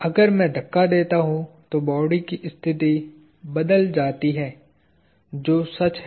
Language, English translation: Hindi, If I push, an object changes position that is true